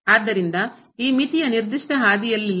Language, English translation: Kannada, So, this is this limit is not along a particular path